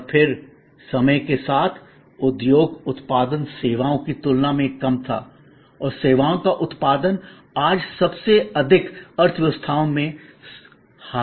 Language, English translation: Hindi, And then over time, industry output was less compare to services and services output dominates today most in the most economies